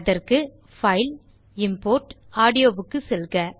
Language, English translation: Tamil, To do this, go to File gtgt Import gtgt Audio